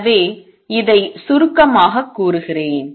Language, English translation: Tamil, So, let me just summarize this